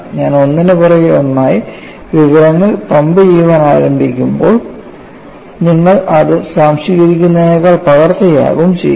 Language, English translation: Malayalam, So, if I start pumping in information one after another, you would only copy them rather than observing it